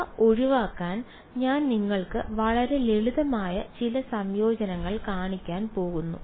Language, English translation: Malayalam, So, to avoid those, I am going to show you some very simple integrations